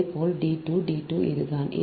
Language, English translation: Tamil, so here also, this is d two, this is d two, they are same